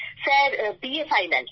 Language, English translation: Bengali, Sir, it is BA Final